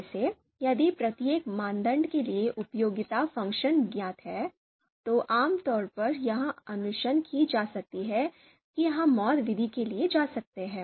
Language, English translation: Hindi, So for example if the utility function for each criterion is known, then it is typically recommended that we can go for MAUT method MAUT method